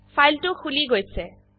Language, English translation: Assamese, The file opens